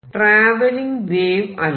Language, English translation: Malayalam, So, this is not a travelling wave